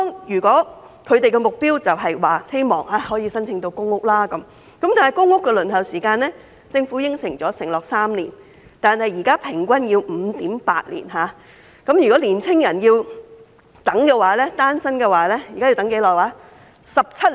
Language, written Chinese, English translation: Cantonese, 如果他們的目標是可以申請到公屋，政府承諾的公屋輪候時間是3年，但現在平均要輪候 5.8 年，如果單身青年人要輪候公屋，要等多長時間呢？, If they yearn to apply for public housing the Government has pledged the waiting time of three years for PRH units but the average waiting time is now 5.8 years . If a single young person is to wait for a PRH unit how long will he have to wait?